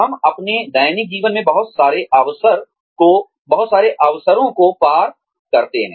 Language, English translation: Hindi, We come across, so many opportunities in our daily lives